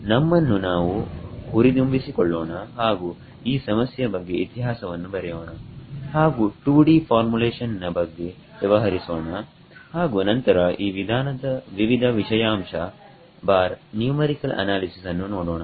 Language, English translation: Kannada, Let us get motivated and give some history about this problem and we will deal with the 2D formulation and then look at various aspects/numerical analysis of this method ok